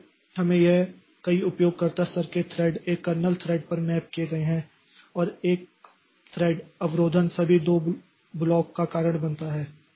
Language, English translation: Hindi, So, we have got this many user level threads mapped to a single kernel thread and one thread blocking causes all to block